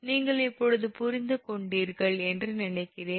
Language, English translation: Tamil, so i think you, uh, you have understood